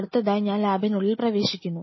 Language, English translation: Malayalam, Then the next thing you enter inside the lab